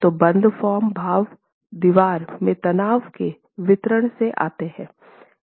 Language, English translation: Hindi, So the close form expressions come from the distribution of stresses in the wall